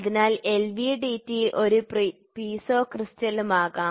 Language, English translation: Malayalam, So, LVDT can be one Piezo crystal can also be one